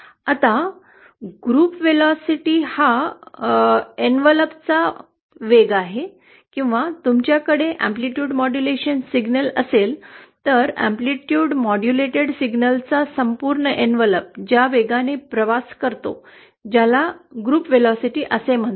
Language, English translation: Marathi, Now group velocity can be considered as a velocity of depletion envelope or if you have an amplitude modulated signal, then the velocity with which the entire envelope of the amplitude modulated signal travels that is called as the group velocity